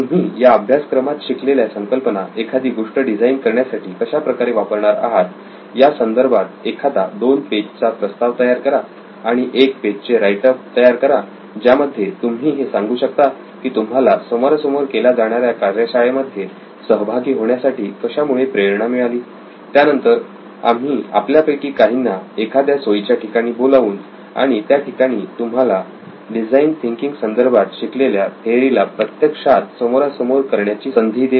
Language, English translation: Marathi, So if you can send us a 2 page proposal of something that you would like to design and a one page write up on why you are motivated to come to a face to face workshop then we will invite some of you over to a convenient location and we will actually have a face to face workshop where you can actually turn design thinking theory into practice